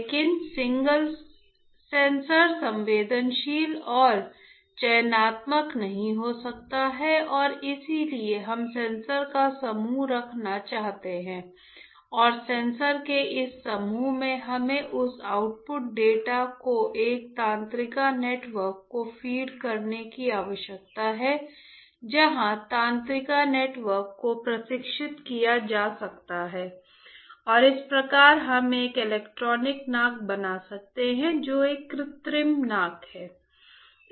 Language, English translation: Hindi, But single sensor cannot be sensitive and selective and that is why we want to have group of sensors, and this group of sensors we need to that output data needs to be fed to a neural network whether there are neural network can be trained and thus we can make an electronic nose which is an artificial nose right